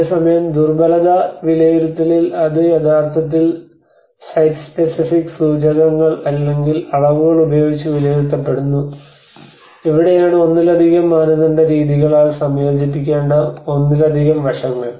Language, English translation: Malayalam, Whereas in the vulnerability assessment it actually has to it is often assessed using the site specific indicators or measurements, and this is where the multiple aspects which has to be combined by multi criteria methods